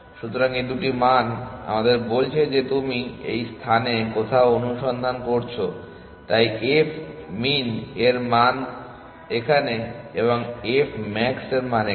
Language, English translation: Bengali, So, these two values are telling us as to where in this space you are searching, so the value of f min is here and the value of f max is here